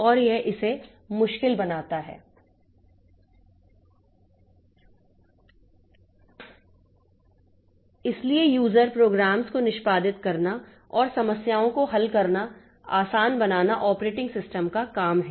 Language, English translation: Hindi, So, so it is the job of the operating system to execute user programs and make problem solving easier